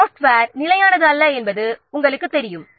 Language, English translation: Tamil, You know, software is not a static entity